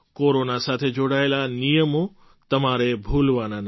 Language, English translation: Gujarati, You must not forget the protocols related to Corona